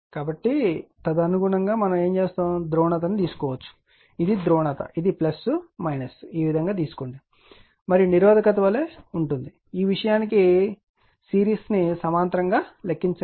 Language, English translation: Telugu, So, accordingly you can choose the polarity this is your this is your this is your polarity, this is plus minus this way you take right and same as resistance you simply, calculate the series parallel this thing